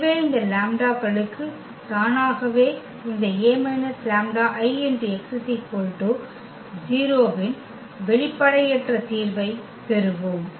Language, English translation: Tamil, And therefore, automatically for these lambdas we will get the non trivial solution of these A minus lambda I x is equal to 0